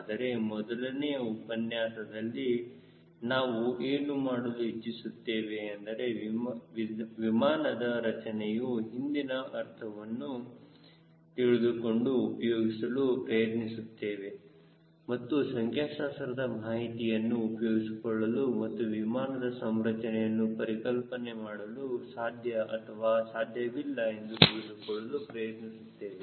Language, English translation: Kannada, but in the first level, course, what we are trying to do is use understanding of the physics behind aircraft design and use as a complimentary statistical data and see whether you can conceptualize an aircraft configuration or not